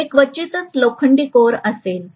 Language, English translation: Marathi, It will hardly ever be iron core